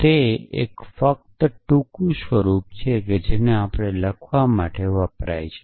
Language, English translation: Gujarati, It is just a short form that we have used to write in